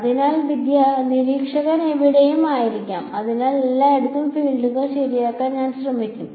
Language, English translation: Malayalam, So, observer could be anywhere, so I will try to solve for the fields everywhere right